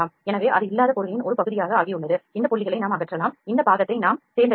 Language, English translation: Tamil, So, it has made it a part of the object which is not there, we can remove these points, we can just select this volume